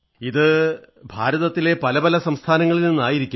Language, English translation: Malayalam, Were they from different States of India